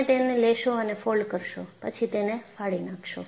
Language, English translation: Gujarati, You will take it and put a fold, and then tear it